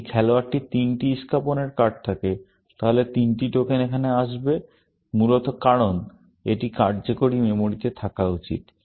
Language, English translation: Bengali, If the player had three cards of spades, then three tokens would come down here, essentially, because that should be in the working memory